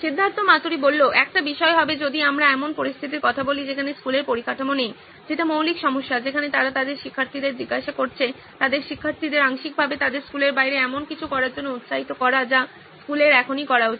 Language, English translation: Bengali, One thing would be if we are talking of a situation where schools do not have the infrastructure that is the basic problem where they are asking their students to probably partially encouraging the students to do something like this outside their school which schools should be doing right now